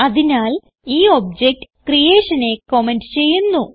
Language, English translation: Malayalam, So we will comment this object creation